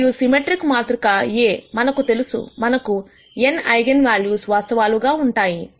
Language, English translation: Telugu, Let us assume that I have a symmetric matrix A; and the symmetric matrix A, we know will have n real eigenvalues